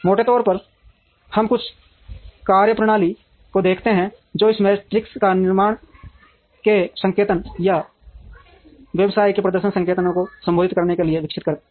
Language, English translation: Hindi, Broadly, let us look at some methodologies that have evolved in order to address these metrics or performance indicators of manufacturing or of a business